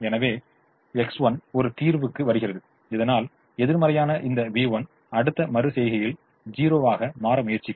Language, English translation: Tamil, so that is v one that is negative will try to become zero in the next iteration